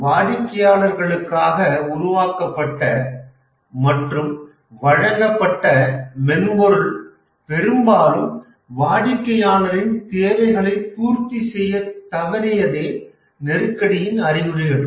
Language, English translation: Tamil, If we look at the symptoms of the crisis that the software that are developed and delivered to the customer very often fail to meet the requirements of the customer